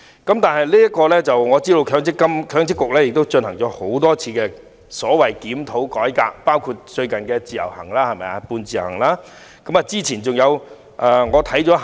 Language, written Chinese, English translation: Cantonese, 我知道強制性公積金計劃管理局進行了多次所謂的檢討和改革，包括最近的"半自由行"。, I understand that the Mandatory Provident Fund Schemes Authority MPFA has conducted several reviews and reforms of MPF including the recent semi - portability arrangement